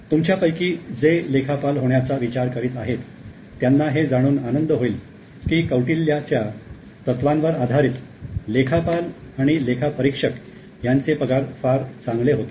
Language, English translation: Marathi, I think most of you who are looking forward to be accountants would be very happy to know that salary of accountants were at a very high level accountants as well as auditors as per Coutillia's principle